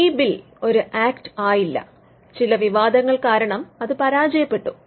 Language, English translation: Malayalam, Now, this bill did not become an act, it failed because of certain controversy surrounding it